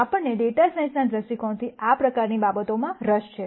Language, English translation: Gujarati, We are interested in things like this, from a data science viewpoint